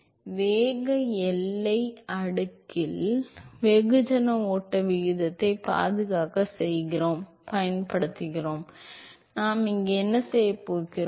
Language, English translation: Tamil, So, remember in the velocity boundary layer we use the mass flow rate as the conserved property, so what we do here